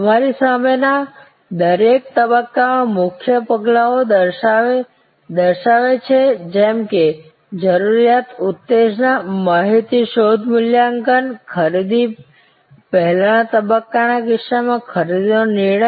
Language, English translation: Gujarati, The slight in front of you shows the key steps in each stage like the need arousal, information search evaluation and purchase decision in case of the pre purchase stage